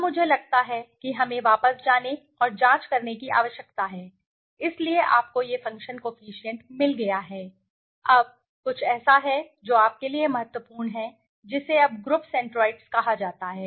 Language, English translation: Hindi, Now, I think let us go back and check right, so you have got this function coefficient, now there is something that is important to you now called group centroids